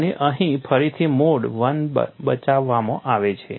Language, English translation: Gujarati, And here again mode one comes to the rescue